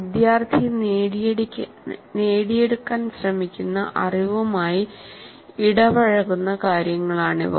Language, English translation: Malayalam, These are the ones where the student is engaged with the knowledge that he is trying to acquire